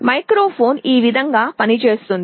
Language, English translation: Telugu, This is how a microphone works